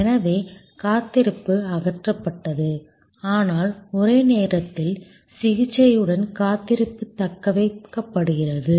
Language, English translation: Tamil, So, just waiting is removed, but waiting with simultaneous treatment going on is retained